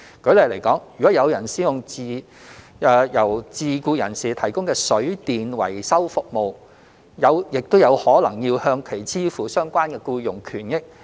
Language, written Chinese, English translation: Cantonese, 舉例來說，如果有人使用由自僱人士提供的水電維修服務，也有可能要向其支付相關僱傭權益。, For example if someone uses the plumbing and electrical services provided by a self - employed person they may also have to pay the person the relevant employment benefits